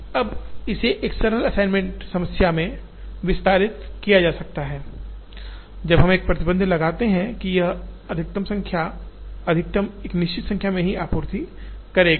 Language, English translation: Hindi, Now, this can be expanded to a simple assignment problem, even when we put a restriction that this it will supply to a maximum of certain numbers